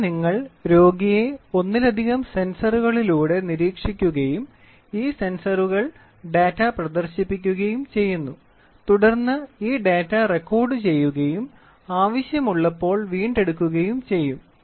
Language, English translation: Malayalam, So, here you will see patient is monitored through multiple sensors and these sensors whatever it is the data is getting displayed and then this data is in turn recorded and retrieved as and when it is required